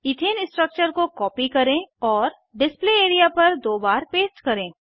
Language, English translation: Hindi, Let us copy the Ethane structure and paste it twice on the Display area